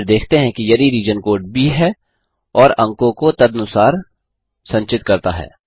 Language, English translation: Hindi, We then see if the region code is B and store the marks accordingly